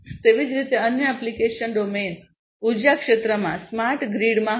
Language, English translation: Gujarati, So, likewise other application domain would be in the energy sector, in the smart grid